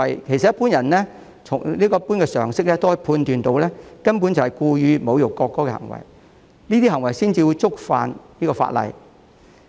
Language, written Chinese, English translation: Cantonese, 其實，普通人憑一般常識也可判斷得到，上述行為根本是故意侮辱國歌，這些行為才會觸犯法例。, In fact even an ordinary person can judge by common sense that the aforesaid behaviours are sheer intentional insults to the national anthem and one would only break the law for committing such behaviours